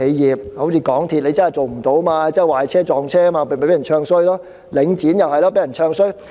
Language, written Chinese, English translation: Cantonese, 以港鐵公司為例，它真的做得不好，又壞車，又撞車，於是便被人"唱衰"，而領展也被人"唱衰"。, Its performance is really unsatisfactory . Because the cases of train breakdown and the train collision MTRCL is being bad - mouthed . As for Link REIT it is also being bad - mouthed